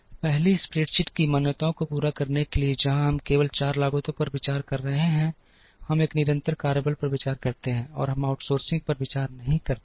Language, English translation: Hindi, To meet the assumptions of the first spreadsheet, where we are considering only 4 costs, we consider a constant workforce, and we do not consider the outsourcing